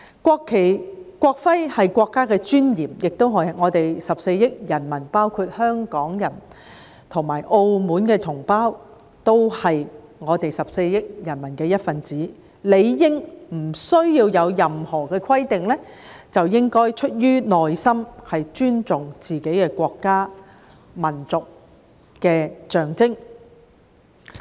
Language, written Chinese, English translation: Cantonese, 國旗和國徽是國家的尊嚴，亦是我們14億人民，包括香港人和澳門同胞，我們都是14億人民的一分子，理應不需要有任何的規定，應出自內心尊重自己的國家和民族的象徵。, The national flag and the national emblem are the dignity of the country and the symbols of our 1.4 billion people including Hong Kong and Macao compatriots . Since we are all part of the 1.4 billion people we should respect the symbols of our country and nation from the bottom of our hearts we without any stipulations . However in the past few years we have seen people trampling on and burning the national flag and placing it upside down blatantly in Hong Kong